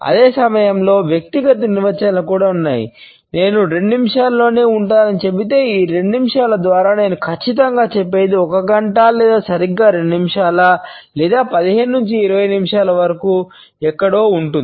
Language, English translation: Telugu, And at the same time there are personal definitions also for example, if I say I would be there within 2 minutes then what exactly I mean by these 2 minutes would it be 1 hour or exactly 2 minutes or maybe somewhere around 15 to 20 minutes